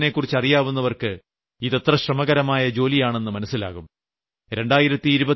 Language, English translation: Malayalam, Those who know the soil conditions of Rajasthan would know how mammoth this task is going to be